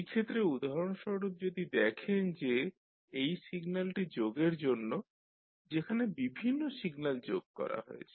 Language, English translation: Bengali, Say for example in this case if you see this particular symbol is for summation where you have the various signals summed up